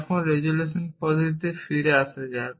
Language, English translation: Bengali, Now, let us get back to the resolution method